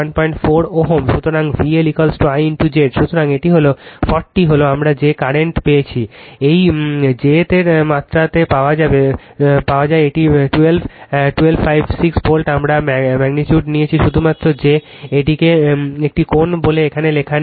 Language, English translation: Bengali, So, V L is equal to I into your Z, so this is 40 is the current we have got into this jth you will get its magnitude it 12 your 1256 volt we have taken magnitude only that your what you call this an angle is not written here right